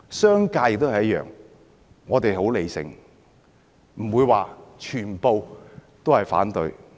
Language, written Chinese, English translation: Cantonese, 商界也一樣，我們很理性，不會全部都反對。, We are very rational and will not oppose everything for the sake of it